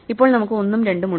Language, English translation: Malayalam, Now, we have 1 and 2